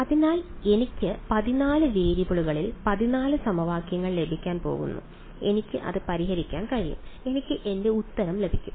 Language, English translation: Malayalam, So, I am going to get 14 equations in 14 variables I can solve it I will get my answer